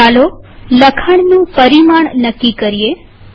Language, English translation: Gujarati, Let us choose the size of the text